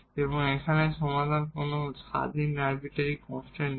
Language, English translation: Bengali, And we are getting the solution which is also having one arbitrary constant